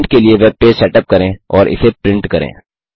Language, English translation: Hindi, * Setup the web page for printing and print it